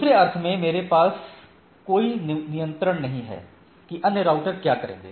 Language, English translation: Hindi, So, in other sense I do not have a control that what that other router will do